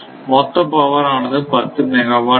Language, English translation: Tamil, Suppose it total this needs 10 megawatt right